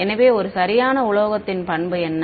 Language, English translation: Tamil, So, what is the property of a perfect metal